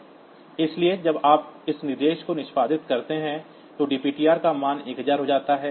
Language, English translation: Hindi, So, when you execute say this instruction then dptr gets the value 1000